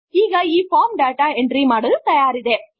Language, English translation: Kannada, Now this form is ready to use for data entry